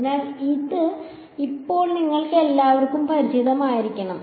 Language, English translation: Malayalam, So, this should be familiar to all of you by now